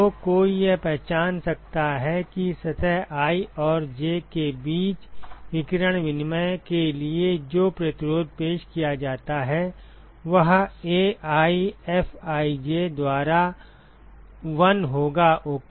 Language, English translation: Hindi, So, one could identify that the resistance that is offered for radiation exchange between surface i and j, would be 1 by AiFij ok